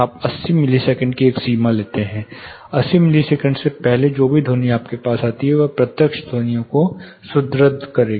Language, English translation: Hindi, You take a threshold of 8 milliseconds, before 80 milliseconds whatever sound comes to you will reinforce their direct sounds